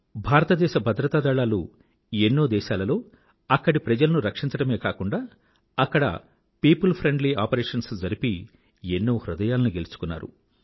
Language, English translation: Telugu, Indian security forces have not only saved people in various countries but also won their hearts with their people friendly operations